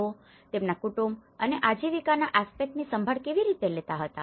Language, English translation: Gujarati, How they were looking after their family and the livelihood aspect